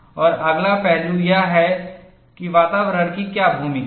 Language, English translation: Hindi, And the next aspect is, in what way the environment has a role